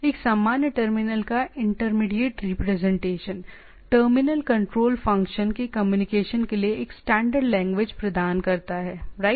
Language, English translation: Hindi, Intermediate representation of a generic terminal, provides a standard language for communication of terminal control functions right